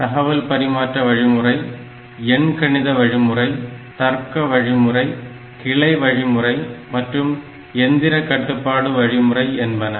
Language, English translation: Tamil, Data transfer, arithmetic operation, logic operation, branch operation and machine control operation